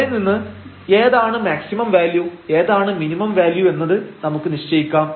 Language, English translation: Malayalam, And, from there we can conclude which is the maximum value and which is the minimum value